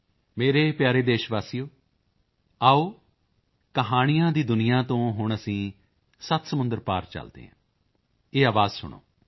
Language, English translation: Punjabi, My dear countrymen, come, let us now travel across the seven seas from the world of stories, listen to this voice